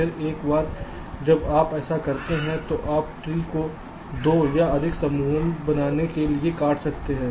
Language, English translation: Hindi, then, once you do this, you can cut the tree to form two or more clusters